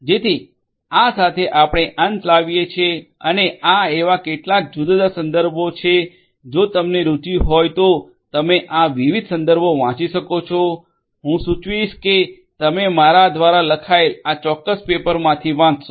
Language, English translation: Gujarati, So, with this we come to an end and these are some of these different references that are there and you know if you are interested you could go through these different references, I would suggest that you go through this particular paper that was authored by me